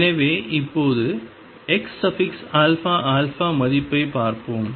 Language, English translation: Tamil, So, now let us see the value x alpha alpha